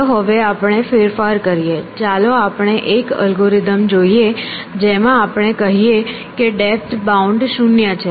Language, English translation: Gujarati, Now, let us do a variation let us have an algorithm in which we say depth bound is equal to zero